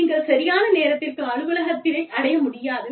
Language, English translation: Tamil, You just cannot reach the office, on time